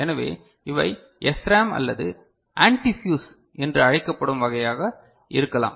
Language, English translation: Tamil, So, these can be of either SRAM or something called antifuse type ok